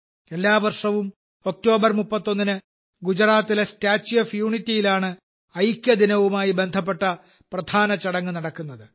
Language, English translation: Malayalam, We know that every year on the 31st of October, the main function related to Unity Day takes place at the Statue of Unity in Gujarat